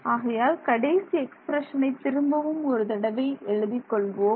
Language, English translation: Tamil, So, this expression let me write it